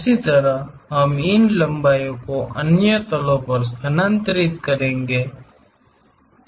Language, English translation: Hindi, Similarly, we will transfer these lengths on other planes also